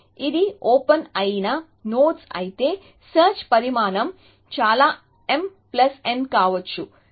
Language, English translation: Telugu, If this was the nodes which are an open then the size of search can be utmost m plus n